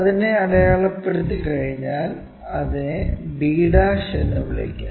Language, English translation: Malayalam, So, once we mark let us call that as b'